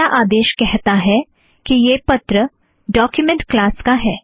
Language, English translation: Hindi, The first line says that this belongs to letter document class